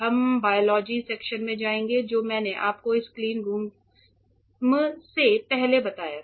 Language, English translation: Hindi, We will go to the biology section which I told you before of this cleanroom